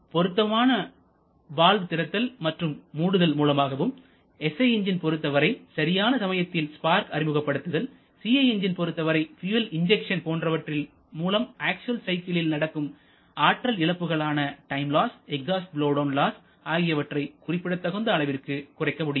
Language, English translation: Tamil, So, by suitable timing of valve opening and closing and also providing the spark in case of a SI engine or fuel injection of CI engine we can significantly reduce the actual cycle losses like the time losses or exhaust blowdown losses